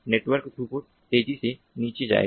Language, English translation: Hindi, the network throughput will go down rapidly